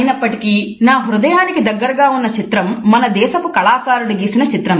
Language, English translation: Telugu, However the painting which is closest to my heart is a painting by one of my countrymen